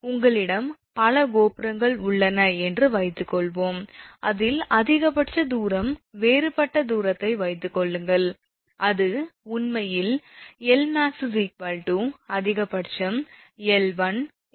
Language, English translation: Tamil, Suppose you have so many towers are there, suppose distance at different out of which one is the maximum; that is actually L max is equal to, that is why I have written here L max is equal to max of L 1 L 2 L 3 up to Ln